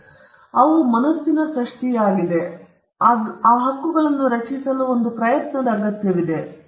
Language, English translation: Kannada, So, they are creations of the mind, but it requires an effort to create these rights